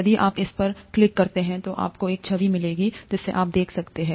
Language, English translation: Hindi, If you click on this, you will get an image that you could see